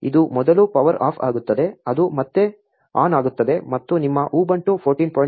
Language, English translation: Kannada, It will power off first, it will power on again and you should be ready to use your ubuntu 14